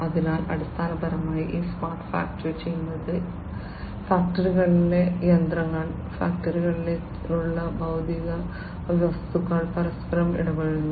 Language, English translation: Malayalam, So, basically this smart factory what it does is these factory, machines in the factories, the physical objects that are there in the factory, which interact with one another